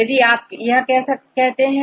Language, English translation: Hindi, If you do this